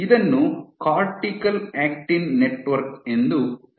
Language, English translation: Kannada, So, this is called the cortical actin network